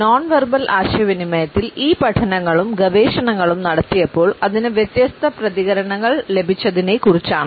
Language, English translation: Malayalam, When these studies and researches were taken up in nonverbal communication, they excerpt different responses to it